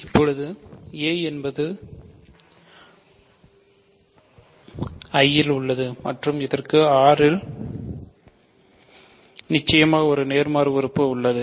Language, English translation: Tamil, So, now let us see if a is in I and a inverse of course, is in R, it has an inverse in R we are not saying it has an inverse in I